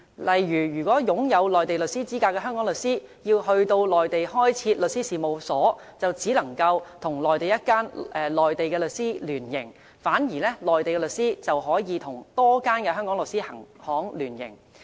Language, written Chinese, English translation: Cantonese, 例如擁有內地律師資格的香港律師要到內地開設律師事務所，就只能跟內地一間內地律師行聯營，反之內地律師行則可與多間香港律師行聯營。, For example a Hong Kong legal practitioner with Mainland practising qualifications who wishes to set up a law firm in the Mainland can only partner with a Mainland law firm; but a Mainland law firm can partner with a number of Hong Kong law firms